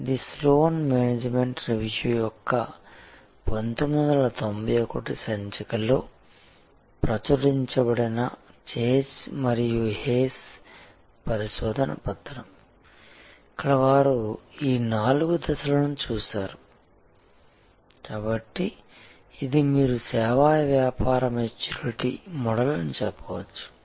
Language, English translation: Telugu, This is the research paper by chase and hayes published in the fall 1991 issue of Sloan management review, where they had looked at this four stage of, so this is the you can say service business maturity model